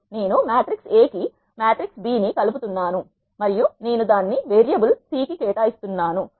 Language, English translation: Telugu, I am concatenated matrix B to the matrix A and I am assigning it to the variable C